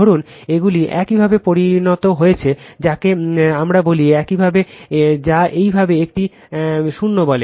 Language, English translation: Bengali, Suppose, these has become your what we call is your what you call this your 0 right